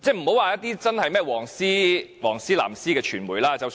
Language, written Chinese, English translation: Cantonese, 不管屬於"黃絲"或"藍絲"的傳媒也有報道。, The issues were reported in media outlets at both the yellow ribbon and the blue ribbon end of the spectrum